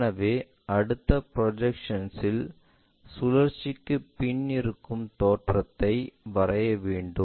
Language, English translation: Tamil, So, in the next projection we have to draw what is that rotation we are really looking for